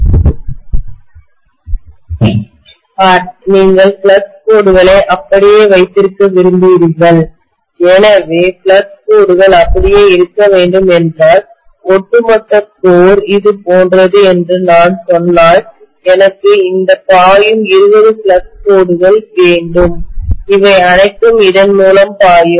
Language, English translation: Tamil, See, you want to have the flux lines intact, so if the flux lines have to be intact, if I say that the overall core is somewhat like this, I want maybe these 20 flux lines which are flowing, they will all flow through this like this